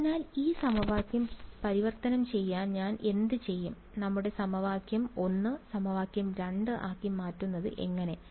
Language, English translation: Malayalam, So, to convert this equation what would I, what is the how do I convert our equation 1 into equation 2